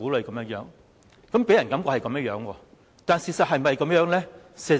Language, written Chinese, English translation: Cantonese, 政府的確令人有這種感覺，但事實是否這樣呢？, The Government has indeed given people such an impression but is it really the case?